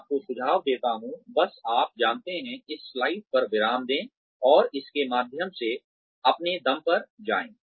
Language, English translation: Hindi, I suggest you, just you know, pause at this slide, and go through it, on your own